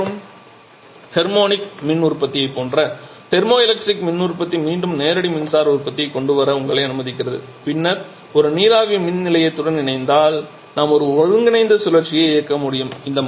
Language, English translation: Tamil, So, thermoelectric power generation quite similar to MHD and thermionic power generation again allows you to have direct electricity production and then combining that with a steam power plant we can also have a combined cycle running